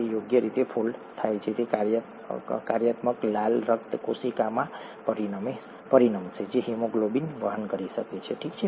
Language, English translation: Gujarati, ItÕs folding correctly is what is going to result in a functional red blood cell which can carry haemoglobin, okay